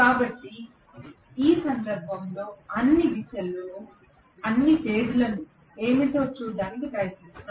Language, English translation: Telugu, So let us try to see what are all the directions at this instant